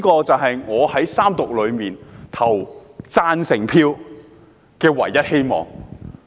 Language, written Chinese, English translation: Cantonese, "這便是我在三讀投贊成票的唯一希望。, This is the sole factor that enables me to have hope and vote in favour of the Third Reading